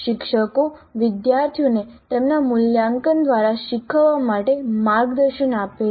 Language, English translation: Gujarati, Teachers guide the students to learn through their assessments